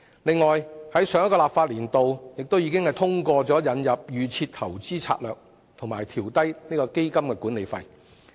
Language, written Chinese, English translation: Cantonese, 此外，在上一個立法年度，立法會亦已通過引入"預設投資策略"及調低基金管理費。, Moreover in the last legislative session the Legislative Council approved the introduction of the Default Investment Strategy and downward adjustment of fund management fees